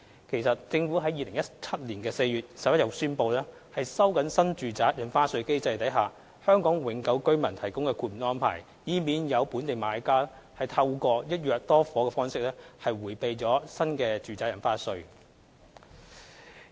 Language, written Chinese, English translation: Cantonese, 其實，政府在2017年4月11日已宣布，收緊新住宅印花稅機制下為香港永久居民提供豁免的安排，以免有本地買家透過一約多伙的方式迴避新住宅印花稅。, In fact the Government announced on 11 April 2017 the tightening of the exemption arrangements made for Hong Kong permanent residents under the stamp duty mechanism for new homes to stop local buyers from evading the New Residential Stamp Duty by purchasing multiple homes with a single contract